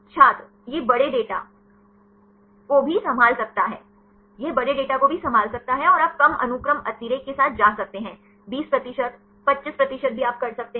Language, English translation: Hindi, It can also handle large data It can also handle large data sets and you can go with the less sequence redundancy; even 20 percent, 25 percent you can do